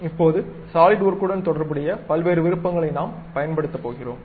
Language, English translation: Tamil, Now, we are going to use variety of options involved with Solidworks